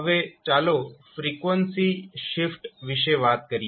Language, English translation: Gujarati, Now let’ us talk about the frequency shift